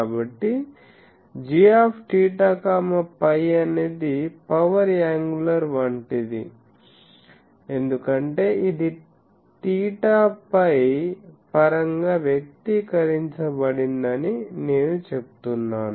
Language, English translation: Telugu, So, g theta phi is the power angular because I am saying it is expressed in terms of theta phi